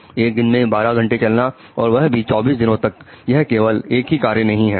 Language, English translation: Hindi, Walking 12 hours a day for 24 days is not a one off act